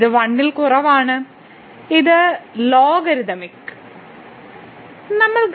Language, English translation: Malayalam, So, this is less than 1 and the logarithmic here